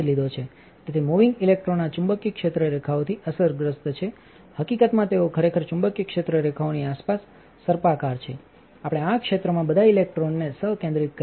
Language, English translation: Gujarati, So, the moving electrons are affected by these magnetic field lines in fact, they actually spiral around the magnetic field lines, we have concentrated all the electrons in this area